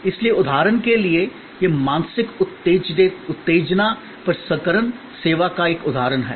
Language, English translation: Hindi, So, for example, this is an example of mental stimulus processing service